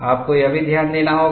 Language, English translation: Hindi, We will also have to note that